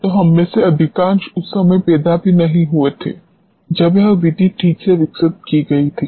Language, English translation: Hindi, So, most of us were not even born at that time when this method was developed alright